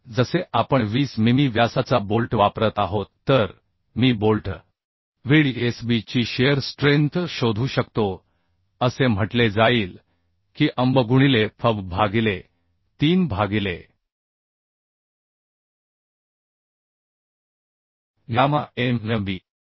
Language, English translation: Marathi, So as we are using 20 mm diameter of bolt so I can find out the shear strength of bolt Vdsb will be say Anb into fub by root 3 by gamma mb